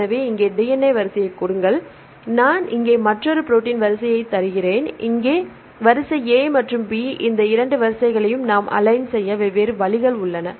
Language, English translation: Tamil, So, here give the DNA sequence and I give another protein sequence here, this is sequence A here, sequence B there are different ways we can align these 2 sequences